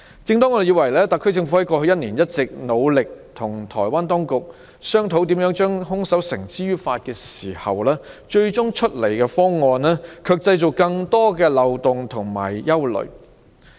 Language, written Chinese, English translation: Cantonese, 正當我們以為特區政府過去一年一直努力與台灣當局商討如何將兇手繩之於法的時候，修例建議卻造成更多的漏洞和帶來憂慮。, While we thought that the SAR Government had been working hard last year to discuss with the Taiwan authorities how to bring the murderer to justice the proposed legislative amendments created more loopholes and aroused worries